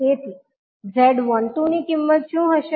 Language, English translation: Gujarati, So, what would be the value of Z12